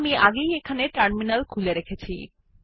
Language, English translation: Bengali, I have already invoked the Terminal here